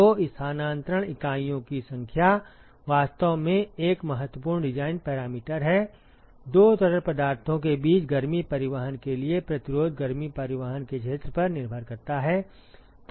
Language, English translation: Hindi, So, the number of transfer units is actually an important design parameter the resistance for heat transport between the two fluid depends upon the area of heat transport